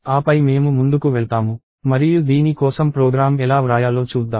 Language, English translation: Telugu, And then we will move on and see how to write a program for this